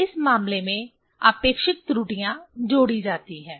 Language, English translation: Hindi, In this case, so relative errors are added